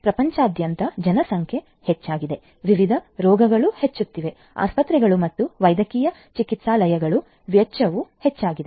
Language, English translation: Kannada, Populations are ageing all over the world; different diseases are increasing; expenditure of hospitals can medical clinic are also increasing